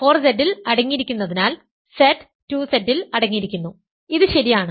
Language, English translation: Malayalam, Since 4Z is contained in 2Z which is contained in Z this is proper, this is proper right